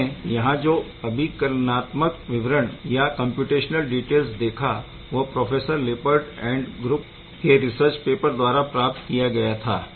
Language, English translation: Hindi, The computational details you will be looking at this is from this paper by professor Lippard’s group